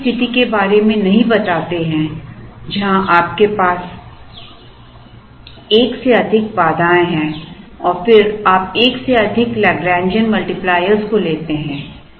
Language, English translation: Hindi, We do not prescribe to have a situation where you have more than one constraint and then you take more than one Lagrangian multiplier